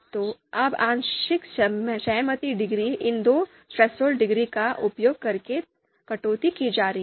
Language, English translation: Hindi, So now now the partial concordance degree is going to be you know deduced using these two thresholds